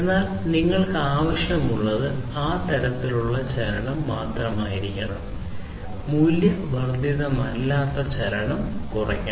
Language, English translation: Malayalam, But whatever is required you should have only that kind of movement, non value added movement should be reduced